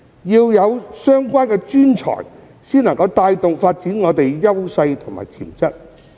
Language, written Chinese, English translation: Cantonese, 要有相關專才，才能帶動香港發展我們的優勢和潛質。, It is impossible for Hong Kong to develop its strengths and unleash its potential without the relevant professional talents